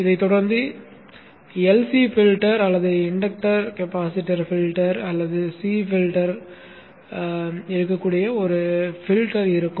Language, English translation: Tamil, This would be followed by a filter which could be an LCD filter or the inductor capacitor filter or just a C filter